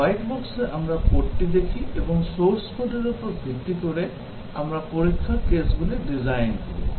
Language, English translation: Bengali, In white box, we look at the code and based on the source code, we design the test cases